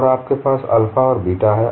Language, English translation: Hindi, So when you specify, what is alpha